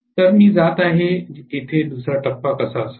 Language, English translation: Marathi, So, I am going to how the second phase here like this